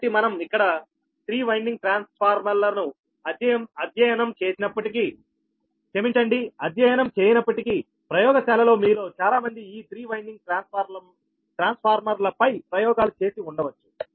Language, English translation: Telugu, so, but although we will not study here three winding transformers, but in laboratory, many of you might have done experiments on these three winding transformers